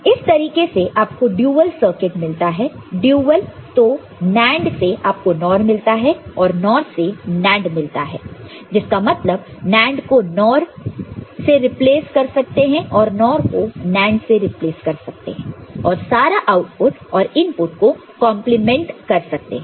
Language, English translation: Hindi, So, from NAND you can get NOR and NOR you can get NAND; that means, NAND is replaced by NOR, NOR is replaced by NAND and complete all outputs and inputs are complemented